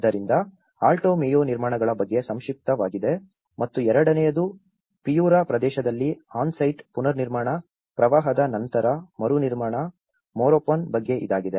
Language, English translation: Kannada, So that is the brief about the Alto Mayo constructions and the second one is about the on site reconstruction, post flooding reconstruction Morropon in Piura region